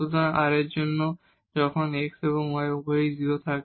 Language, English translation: Bengali, So for r, this is when x and y both have 0